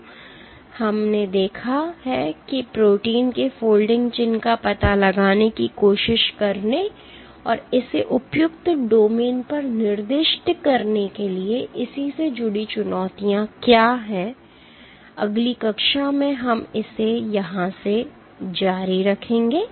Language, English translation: Hindi, So, we have seen what are the challenges associated with trying to, trying to ascertain the folding signature of proteins and assigning it to appropriate domains next class we will continue from here